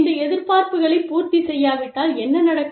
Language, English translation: Tamil, And, what will happen, if these expectations are not met